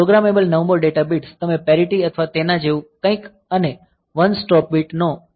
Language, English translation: Gujarati, So, programmable ninth data bits; so, you can use it of parity or something like that and one stop bit